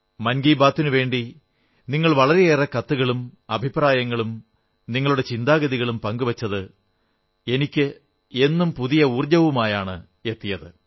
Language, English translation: Malayalam, Your steady stream of letters to 'Mann Ki Baat', your comments, this exchange between minds always infuses new energy in me